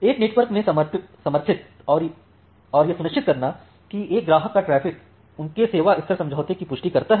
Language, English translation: Hindi, Supported in a network and ensuring that the traffic from a customer confirms to their service level agreement